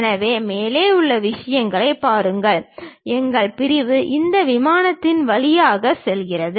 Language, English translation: Tamil, So, look at the top thing, our section pass through this plane